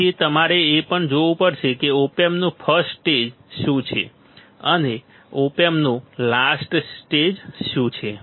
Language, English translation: Gujarati, So, also you have to see that what is the first stage of the op amp and what is the last stage of the op amp